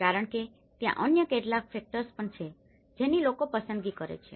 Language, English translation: Gujarati, Because there are certain other factors also people tend to make their choices